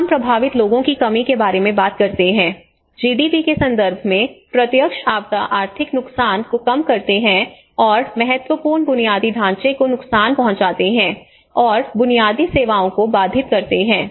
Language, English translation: Hindi, And again we talk about this reduction of this affected people, reduce direct disaster economic loss in terms of GDPs and also disaster damage to critical infrastructure and disruption of basic services